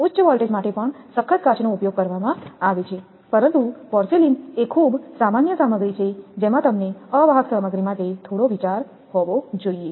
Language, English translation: Gujarati, There is the toughened glass also used for high voltage, but for your porcelain is very common the materials little bit idea you have to have for insulating materials